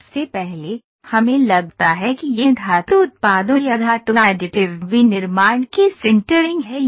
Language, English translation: Hindi, So, first what happens let us think it is a sintering of the metal products or metal additive manufacturing